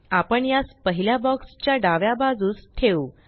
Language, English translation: Marathi, We will place it to the left of the first box